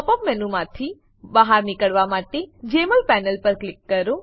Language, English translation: Gujarati, Click on the Jmol panel to exit the Pop up menu